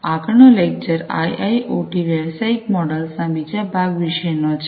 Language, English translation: Gujarati, So, the next lecture is about IIoT Business Models, the second part of it